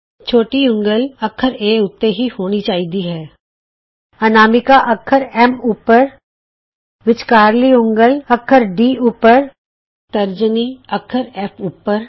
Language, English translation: Punjabi, Ensure that the little finger is on alphabet A Ring finger is on the alphabet S, Middle finger on alphabet D, Index finger on alphabet F